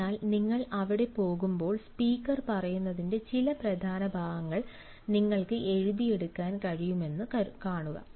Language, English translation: Malayalam, so while you go there, please see that you can jot down some of the important parts of what the speaker says